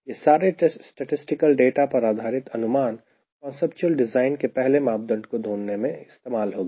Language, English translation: Hindi, these are all initial statistical data driven inferences which will be used to get the first parameter for a conceptual design